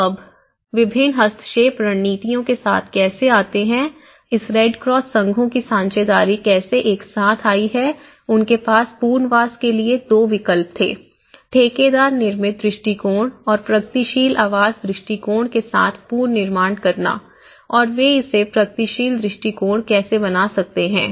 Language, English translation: Hindi, So now, this is how they come up with one is, the various intervention strategies, how the partnership of this Red Cross associations have brought together and one is, they had 2 options of resettlement with the contractor built approach and reconstruction with the progressive housing approach how they come together and how they make it in a progressive approach